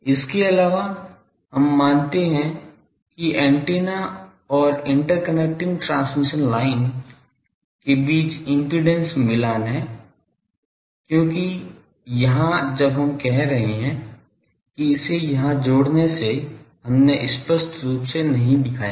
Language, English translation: Hindi, Also we assume that the impedance matching is there between the antenna and the interconnecting transmission line because, here when we are saying that connecting this here we have not explicitly shown